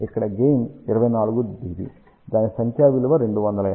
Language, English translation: Telugu, Here the gain is around 24 dB; numeric value of that is 250